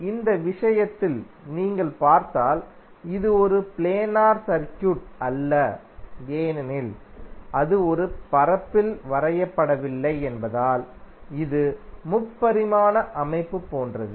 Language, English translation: Tamil, So, like in this case if you see it is not a planar circuit because it is not drawn on a plane it is something like three dimensional structure